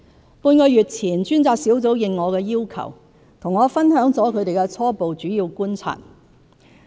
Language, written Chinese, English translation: Cantonese, 半個月前，專責小組應我的要求，和我分享了他們的初步主要觀察。, Half a month ago upon my request the Task Force shared with me its preliminary key observations